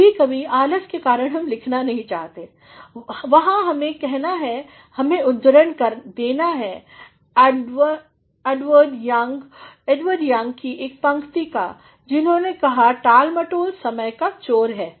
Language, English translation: Hindi, And, sometimes because of lethargy also we do not want to write, that is where we need to say, we need to quote one of the lines by Edward Young who say, procrastination is the thief of time